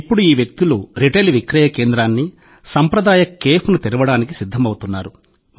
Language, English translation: Telugu, These people are now also preparing to open a retail outlet and a traditional cafe